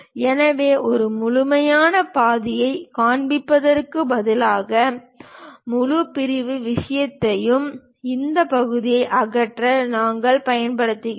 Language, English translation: Tamil, So, instead of showing complete half, full section kind of thing; we use remove this part